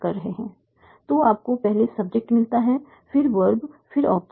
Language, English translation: Hindi, So you get the subject first, then the verb, then the object